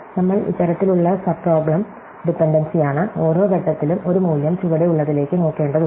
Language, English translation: Malayalam, We are this kind of the subproblem dependency, at every point a value needs to look to the one which is below